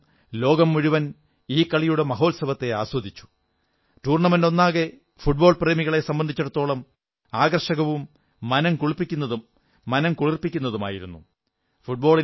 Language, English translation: Malayalam, The whole world including India enjoyed this mega festival of sports and this whole tournament was both full of interest and entertainment for football lovers